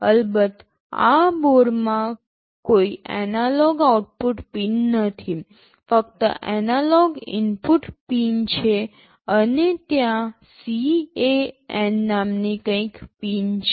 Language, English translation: Gujarati, Of course in this board there are no analog output pins, only analog input pins are there and there is something called CAN pins